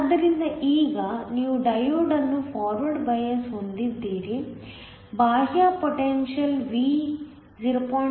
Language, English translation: Kannada, So, Now, you have the diode to be forward biased the external potential V is 0